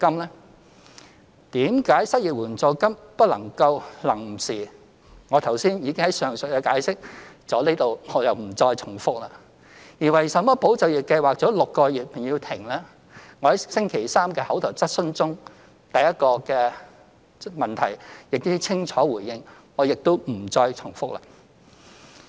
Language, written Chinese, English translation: Cantonese, 為甚麼失業援助金不能夠"臨時"，我已經在上文詳細解釋，在此不重複了；而為甚麼"保就業"計劃做6個月便要停，我在昨日的口頭質詢中第一項質詢亦已清楚回應，我亦不再重複。, Regarding why an unemployment assistance cannot be temporary I have already explained it in detail in my earlier remarks and I will not make any repetition here . As to why ESS has to stop six months after its introduction I also gave a response clearly in my reply to the first oral question yesterday on 17 March and I am not going to repeat it